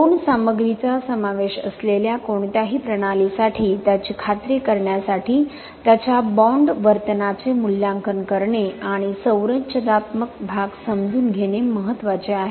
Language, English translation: Marathi, For any systems that involves two materials it is important to evaluate and understand its bond behaviour to ensure its structural performance